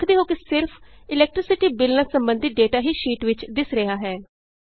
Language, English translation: Punjabi, You see that only the data related to Electricity Bill is displayed in the sheet